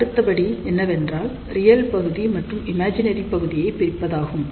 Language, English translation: Tamil, Now, the next step would be is to separate real part and imaginary part